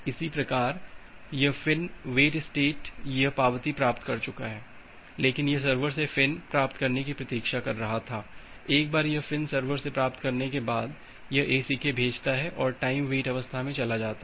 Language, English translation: Hindi, Similarly this FIN wait state it has received the acknowledgement, but it was waiting for getting the FIN from the server, once it get this FIN from the server it sends that ACK and moves to the time wait state